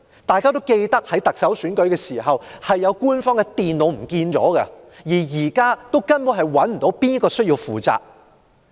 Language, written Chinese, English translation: Cantonese, 大家諒會記得，在過去的特首選舉中，曾有官方電腦不知所終，至今仍不知道誰人需要負責。, As Members may recall two government computers were lost in a previous Chief Executive Election with no one being held accountable so far